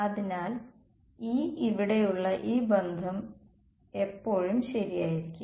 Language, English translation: Malayalam, So, this E this relation over here is always going to be true